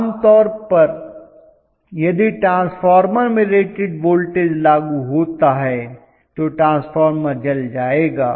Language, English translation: Hindi, Normally, in the transformer if apply the rated voltage the transformer will burned